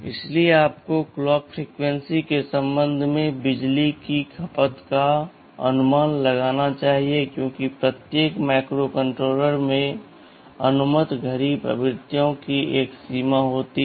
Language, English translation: Hindi, So, you should estimate the power consumption with respect to the clock frequency, we are using because every microcontroller has a range of permissible clock frequencies